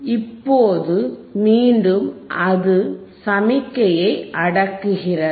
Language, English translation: Tamil, Now again it is suppressing the signall it is again suppressing the signal